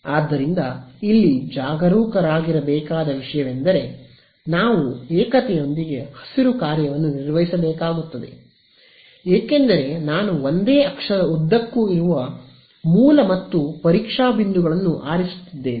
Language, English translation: Kannada, So, the only thing to be careful about here is that, we will have to work out the Green's function with the singularity because I am choosing the source and testing points to be up along the same axis